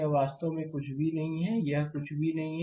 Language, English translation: Hindi, This is nothing actually this is nothing